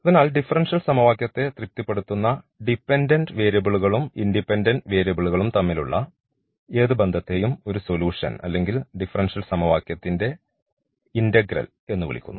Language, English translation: Malayalam, So, any relation between this dependent and independent variable which satisfies the differential equation is called a solution or the integral of the differential equation